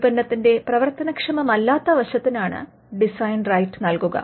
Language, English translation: Malayalam, A design right is granted to a non functional aspect of the product